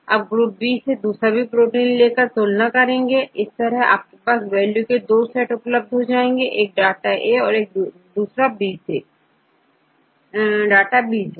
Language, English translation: Hindi, Then take all the proteins from group B get the composition, now you have 2 set of values for example, here you have the data one is A one is B